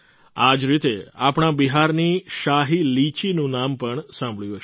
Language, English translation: Gujarati, Similarly, you must have also heard the name of the Shahi Litchi of Bihar